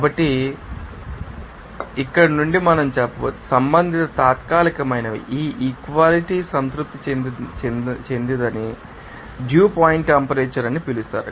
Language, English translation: Telugu, So, from this here we can say that respective temporaries are at which this you know equality satisfied will be called as dew point temperature